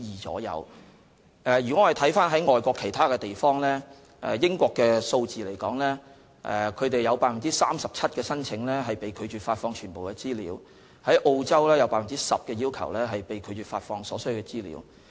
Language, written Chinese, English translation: Cantonese, 我們可參考外國其他地方在這方面的數字，在英國 ，37% 的申請被拒絕發放全部資料，澳洲的相關比率是 10%。, We can take reference of the statistics in overseas countries in this regard . In the United Kingdom 37 % of the requests are not met in full and in Australia the relevant ratio is 10 %